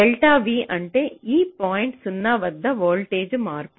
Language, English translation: Telugu, so delta v means change in voltage across this point zero